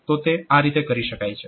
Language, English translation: Gujarati, So, it can be done